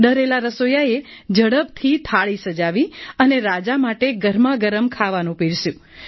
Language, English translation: Gujarati, The frightened cook immediately lay the plate with hot food